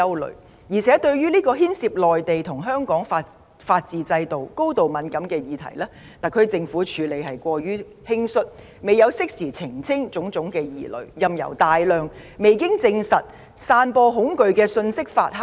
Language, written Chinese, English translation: Cantonese, 另一方面，對於這個牽涉內地與香港法治制度、高度敏感的議題，特區政府的處理過於輕率，未有適時澄清種種疑慮，任由大量未經證實、散播恐懼的信息發酵。, On the other hand the SAR Government dealt too rashly with a highly sensitive issue involving the legal systems of the Mainland and Hong Kong . The Government failed to make timely clarifications of various misgivings of the public and allowed a large volume of unsubstantiated fear - mongering messages to ferment